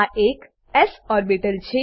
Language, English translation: Gujarati, This is an s orbital